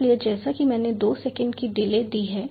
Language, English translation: Hindi, so as i have given a delay of two seconds